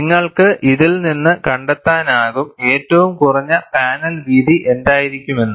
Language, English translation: Malayalam, From this, you could also go and find out, what could be the minimum panel width